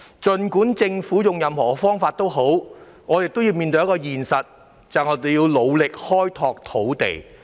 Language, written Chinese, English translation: Cantonese, 不管政府使用任何方法，我們也要面對一個現實，便是要努力開拓土地。, No matter what method the Government uses we still have to face the reality ie . we must endeavour to develop land resources